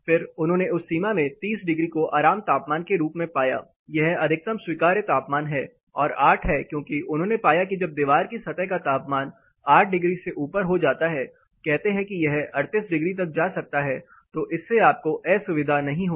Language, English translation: Hindi, Then they found 30 degree as the comfort temperature in that range that is the maximum allowable temperature 30 degrees and 8 because they found that when the wall surface temperature rises above 8 degree say it can go up to 38 degrees then it will be not causing you discomfort